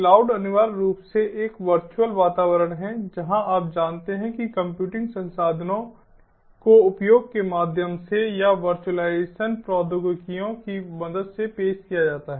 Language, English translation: Hindi, cloud is essentially a virtual environment ah where, ah, you know, computing resources are offered ah through the, through the use or through the help of virtualizationed technologies